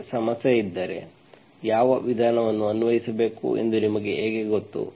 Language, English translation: Kannada, If you are given a problem, then how do you know which method to apply